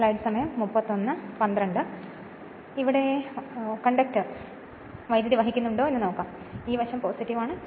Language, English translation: Malayalam, So, if it is so let now let us see that conductor is carrying current, this side is plus